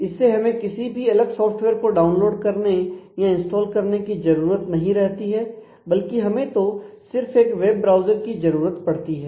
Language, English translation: Hindi, And it avoids the requirement of downloading or installing specialized code into that all that we need is just a web browser